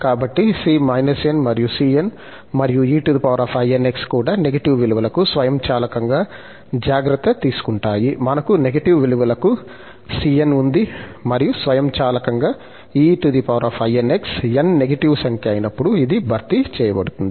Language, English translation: Telugu, So, c minus n and c plus n and e power this inx will also take care automatically for the negative values, we have the for c also, we will have the negative values and automatically c power i, when n is a negative number, this will be compensated